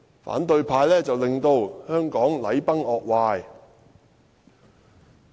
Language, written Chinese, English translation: Cantonese, 反對派令香港禮崩樂壞......, They are the ones who have brought Hong Kong in total disarray